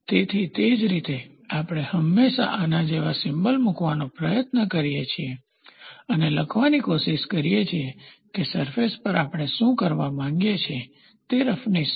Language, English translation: Gujarati, So, in a similar manner we always try to put a symbol like this and try to write what is the roughness we want on the surface to do